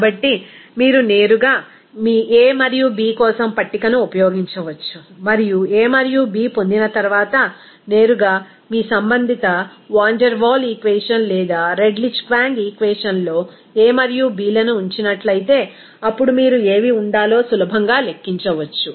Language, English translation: Telugu, So, you can directly use the table for your a and b and after getting a and b, if you directly put that a and b in your respective Van der Waal equation or Redlich Kwong equation, then you can easily calculate what should be the pressure or volume